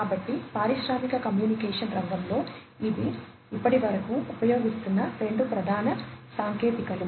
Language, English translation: Telugu, So, these are the two main technologies, that are being used in the industrial communication sector, so far